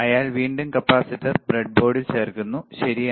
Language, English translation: Malayalam, So, again he is inserting the capacitor in the breadboard, right